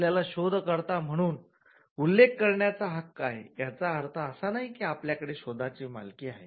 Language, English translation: Marathi, But just because you have a right to be mentioned as an inventor, it does not mean that you own the invention